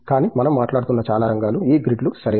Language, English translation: Telugu, But, many areas that we are talking about for example, these grid, right